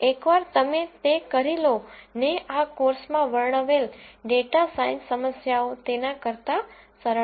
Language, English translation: Gujarati, Once you do that the data science problems that we described in this course are rather simple